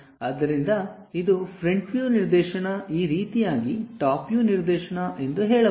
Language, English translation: Kannada, So, this is the front view direction, this is the top view direction in this way